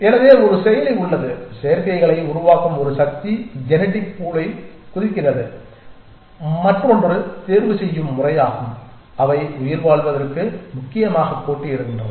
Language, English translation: Tamil, So, there is one processor one force which makes up the combinations jumps the genetic pool and the other which is the process of selection which is that they compete for survival essentially